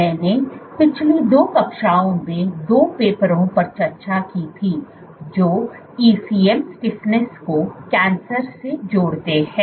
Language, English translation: Hindi, What the last 3 classes I had discussed 2 papers which link ECM Stiffness with Cancer